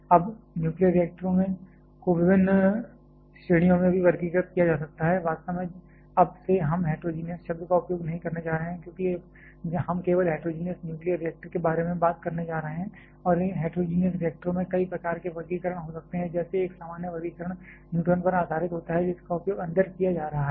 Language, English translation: Hindi, Now, nuclear reactors can be classified to different categories as well, actually from now onwards we are not going to use the term heterogeneous; because we are going to talk only about heterogeneous nuclear reactors and heterogeneous reactors can have several kinds of classification like one common classification is based upon the neutrons that are being used inside